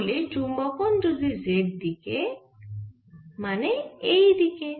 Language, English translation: Bengali, so magnetization is along the z axis, which is this